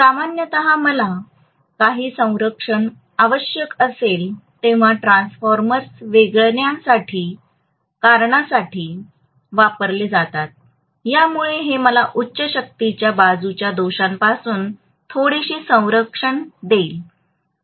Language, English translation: Marathi, So generally transformers are used for isolation when I require some protection, so this will actually give me some protection against fault in the high power side